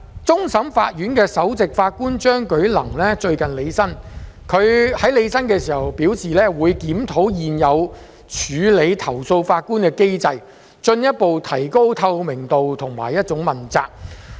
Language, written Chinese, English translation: Cantonese, 終審法院首席法官張舉能最近履新，他表示會檢討現有處理投訴法官的機制，進一步提高透明度和問責性。, After the Chief Justice Andrew CHEUNG of the Court of Final Appeal CFA has assumed office recently he said that he would review the existing mechanism for handling complaints against judges with a view to further improving transparency and accountability